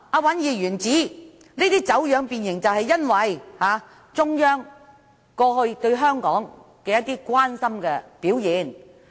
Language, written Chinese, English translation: Cantonese, 尹議員之所以說走樣和變形，可能是因為中央過去對香港的一些關心表現。, Perhaps Mr WAN said that the implementation has been distorted and deformed because the Central Authorities have expressed their concern about Hong Kong in the past